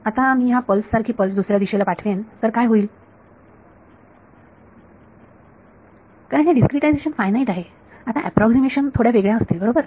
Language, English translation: Marathi, Now, I send a pulse like this some other direction what will happen, because this discretization is finite the approximations are now slightly different right